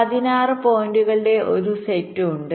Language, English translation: Malayalam, there is a set of sixteen points